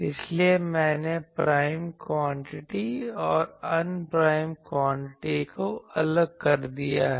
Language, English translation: Hindi, So, I have separated the prime quantities and unprime quantities